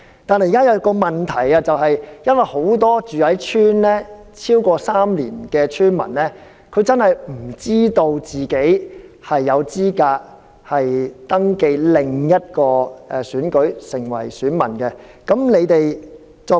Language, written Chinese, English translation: Cantonese, 但是，現在的問題是很多已在鄉村居住超過3年的村民，並不知道自己有資格登記成為另一個選舉的選民。, And yet the current problem is that many people have resided in the rural areas for more than three years but they still do not know if they are eligible to be registered as electors for another election